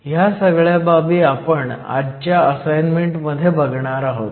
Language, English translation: Marathi, These are some of the concepts that we will touch in today’s assignment